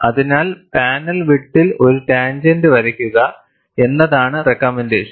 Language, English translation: Malayalam, So, the recommendation is, draw a tangent from panel width W